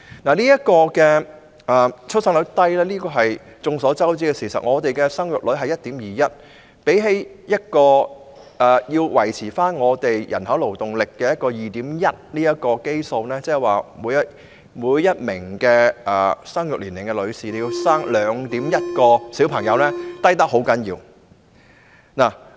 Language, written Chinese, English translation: Cantonese, 香港的低出生率是眾所周知的事實，現時的生育率是 1.21， 遠低於維持人口勞動力所需的基數 2.1， 即每名生育年齡女性需要生育 2.1 名子女。, The low birth rate in Hong Kong is a notorious fact . The fertility rate is 1.21 at present far below the base figure of 2.1 required to maintain the labour force which means that every woman of childbearing age has to give birth to 2.1 children